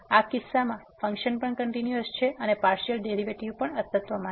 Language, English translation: Gujarati, In this case function is also continuous and partial derivatives also exist